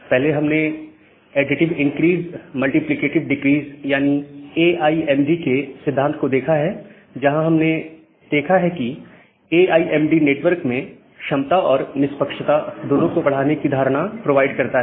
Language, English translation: Hindi, So, earlier we have looked into these principles of additive increase multiplicative decrease, where we have seen that well AIMD provides a notion of maximizing the capacity as well as fairness in the network